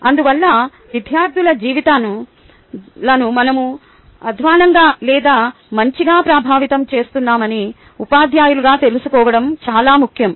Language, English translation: Telugu, therefore, it is very important for us, as teachers, should know that we are impacting the lives of students, either for worse or for better